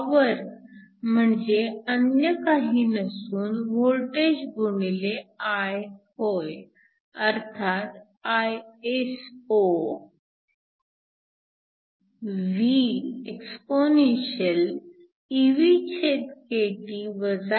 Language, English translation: Marathi, The power is nothing, but I times the voltage which is Iso v exp evkT 1 Iphv